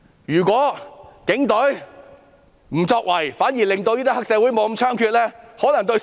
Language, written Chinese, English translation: Cantonese, 如果警隊不作為，反而令黑社會不太猖獗，可能更能造福市民。, If the Police Force do nothing triad activities on the contrary will not be that rampant and this may do more good to the public